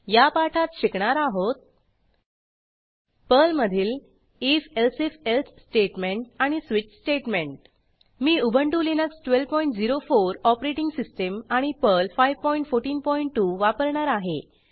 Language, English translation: Marathi, In this tutorial, we will learn about The if elsif else statement and switch statement in Perl I am using Ubuntu Linux12.04 operating system and Perl 5.14.2 I will also be using the gedit Text Editor